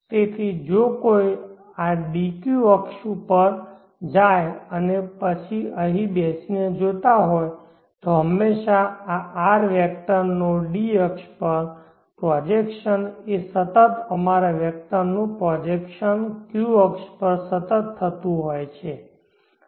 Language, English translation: Gujarati, So if some1 were to jump on to this DQ axis and then they are sitting on here and viewing always the projection of this R vector onto the D axis is a constant projection of our vector under the Q axis is a constant